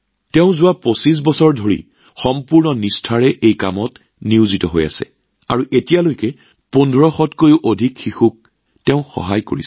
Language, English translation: Assamese, He has been engaged in this task with complete dedication for the last 25 years and till now has helped more than 1500 children